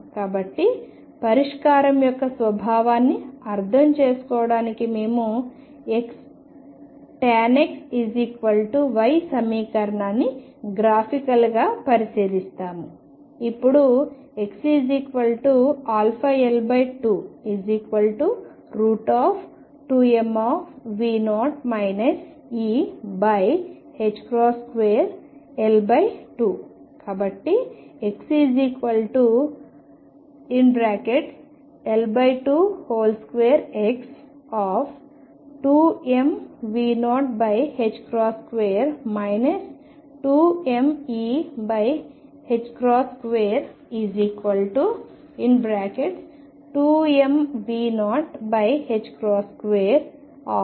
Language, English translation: Telugu, So, to understand the nature of solution we will look at the equation x tangent of x equals y graphically